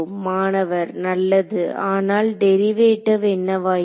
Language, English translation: Tamil, Fine, but what about the derivative